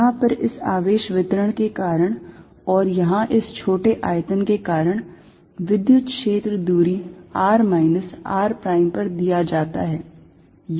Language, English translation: Hindi, Due to this charge distribution here and due to this small volume here, the electric field is given by at a distance r minus r prime